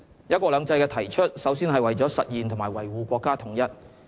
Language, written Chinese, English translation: Cantonese, '一國兩制'的提出首先是為了實現和維護國家統一。, The concept of one country two systems was advanced first and foremost to realize and uphold national unity